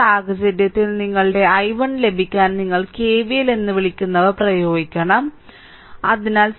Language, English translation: Malayalam, So, in this case to get that your i 1 you have to apply what you call that KVL so, 6 plus 12 18 ohm right